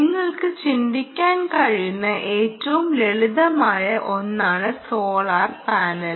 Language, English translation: Malayalam, ok, solar panel is the simplest thing that you can think of now